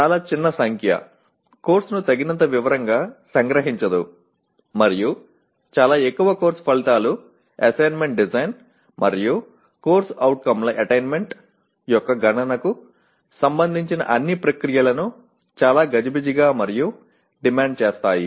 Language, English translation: Telugu, So too small a number do not capture the course in sufficient detail and too many course outcomes make all the processes related to assessment design and computation of attainment of COs very messy and demanding